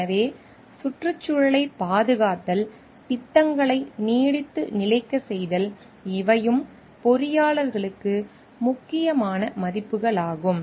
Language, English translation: Tamil, So, protecting the environment, making the projects sustainable, these are also important values for the engineers which needs to be considered